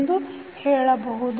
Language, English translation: Kannada, So, what is a